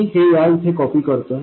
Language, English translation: Marathi, Let me copy over this